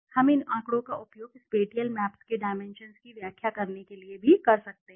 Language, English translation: Hindi, We could use these data also to interpret the dimensions of the spatial maps